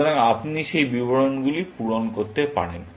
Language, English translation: Bengali, So, you can fill up those details, essentially